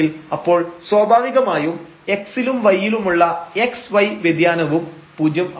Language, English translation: Malayalam, So, naturally the x and y variation in x and y will be also 0